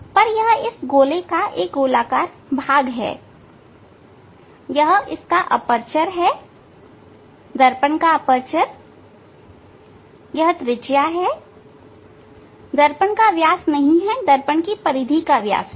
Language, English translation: Hindi, this aperture; aperture of these of this mirror the radius that the diameter of this of the diameter not diameter of the of the mirror diameter of the periphery of the mirror